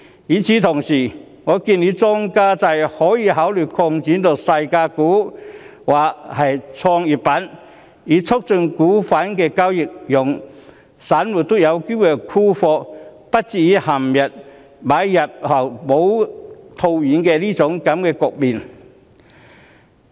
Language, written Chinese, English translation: Cantonese, 與此同時，我建議當局可以考慮將莊家制擴展至細價股或創業板，以促進股份的交易，讓散戶也有機會沽貨，而不至於陷入買入後未能套現的局面。, At the same time the authorities should consider extending the market - making system to penny stocks and the Growth Enterprise Market to promote the trading of stocks so that retail investors will also have the chance to sell their stocks instead of not being able to encash after buying in